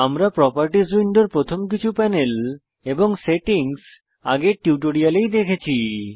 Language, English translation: Bengali, We have already seen the first few panels of the Properties window and their settings in the previous tutorial